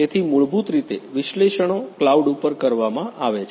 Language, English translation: Gujarati, So, So, basically the analytics is performed at the cloud